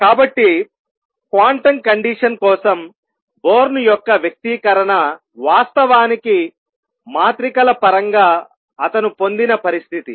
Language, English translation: Telugu, So, Born’s expression for quantum condition in terms of matrices in fact, the condition that he derived